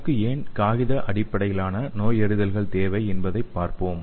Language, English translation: Tamil, So there are 3 types of paper based diagnostics